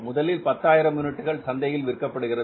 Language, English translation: Tamil, Only 150,000 units are going to the market